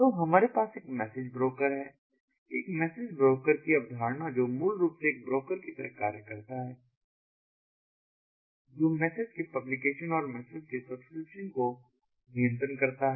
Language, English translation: Hindi, so we have a message broker, the concept of a message broker that basically serves like a broker which takes control of publishing of the messages and subscription of the messages